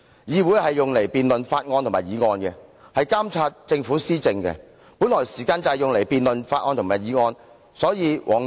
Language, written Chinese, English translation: Cantonese, 議會的職權是辯論法案和議案，以及監察政府施政，時間本來就是作這些用途。, The functions of the legislature are to debate bills and motions and to monitor the Governments policy implementation . Our time is meant to be spent for these purposes